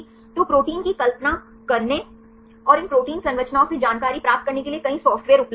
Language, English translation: Hindi, So, there are several software available, to visualize the proteins and to get the information from these protein structures